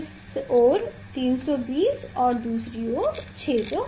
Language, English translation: Hindi, This side 320 and the other side 650